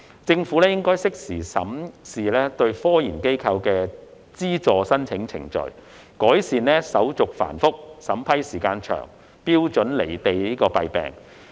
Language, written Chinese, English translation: Cantonese, 政府應適時審視對科研機構的資助申請程序，改善手續繁複、審批時間長、標準"離地"的弊病。, The Government should review the application procedure for funding research institutions in a timely manner to rectify problems such as cumbersome procedure long approval time and unrealistic criteria